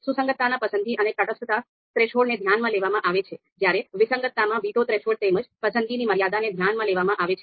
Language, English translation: Gujarati, So in the concordance, the preference and indifference threshold are taken into account, and in discordance, the veto threshold as well as the preference threshold are taken into account